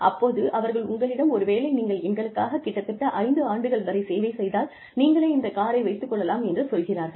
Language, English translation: Tamil, And, they say that, if you serve us for, maybe, five years, you can have the car